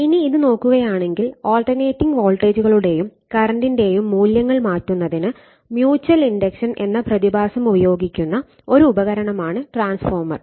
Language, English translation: Malayalam, So, that means, therefore, the transformer is a device which uses the phenomenon of mutual inductance mutual induction to change the values of alternating voltage and current right